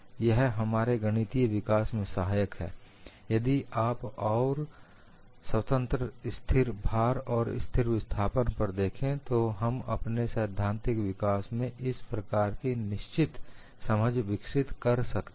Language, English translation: Hindi, It helps in our mathematical development, if you look at independently constant load and constant displacement, we would develop certain kind of understanding in your theoretical development